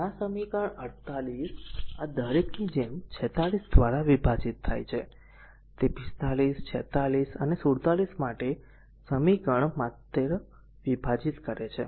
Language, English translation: Gujarati, This equation 48 divide by each of 46 like this one, that your equation for your 45 46 and 47 just you divide right